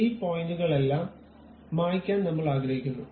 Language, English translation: Malayalam, I would like to erase all these points